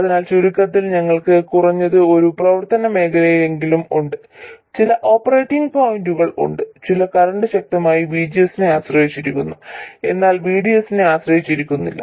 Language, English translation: Malayalam, So, in summary, we have at least one region of operation, some set of operating points where the current is strongly dependent on VCS but not on VDS